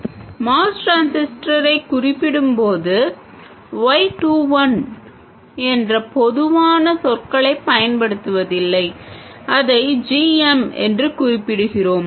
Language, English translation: Tamil, And when we refer to a MOS transistor we don't use the generic terminology Y21, we refer to this as GM